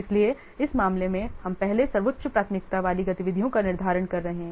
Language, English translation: Hindi, So, in this case, we are first what scheduling the highest priority activities